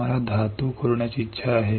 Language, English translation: Marathi, We want to etch the metal